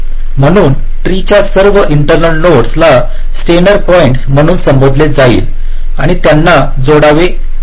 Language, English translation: Marathi, so all the internal nodes of the tree will be referred to as steiner points